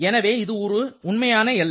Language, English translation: Tamil, So, you are having a real boundary